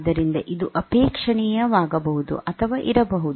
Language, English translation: Kannada, So, this may or may not be desirable